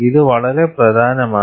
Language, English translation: Malayalam, You know, this is very important